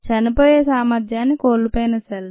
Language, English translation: Telugu, they have lost their ability to die